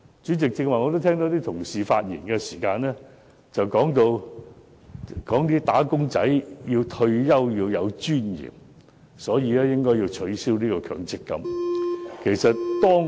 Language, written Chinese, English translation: Cantonese, 剛才有同事發言時指出，"打工仔"退休要有尊嚴，所以應取消強積金對沖安排。, Some colleagues pointed out in their speeches just now that wage earners should retire with dignity and the MPFs offsetting arrangement should thus be abolished